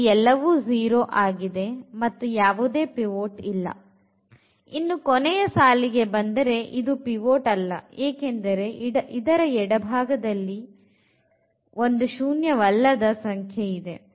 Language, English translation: Kannada, Now, coming to the right one this is pivot see this is not the pivot here because the left you have a non zero element